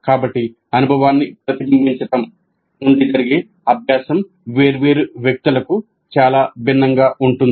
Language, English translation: Telugu, So the idea is that the learning that can happen from reflecting on the experience can be quite quite different for different people